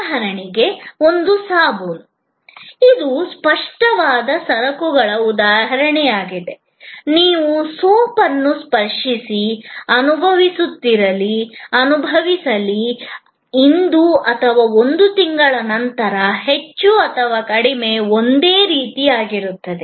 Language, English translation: Kannada, For example a soap, which is an example of a tangible goods, whether you touch, feel, experience the soap, today or a month later, more or less, it will remain the same